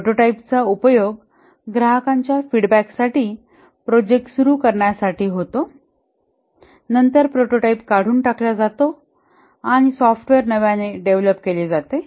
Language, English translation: Marathi, The prototype is used to get customer feedback, the start of the project and then the prototype is thrown away and the software is developed fresh